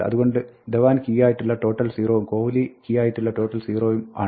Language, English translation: Malayalam, So, total with key Dhawan is 0, total with key Kohli is 0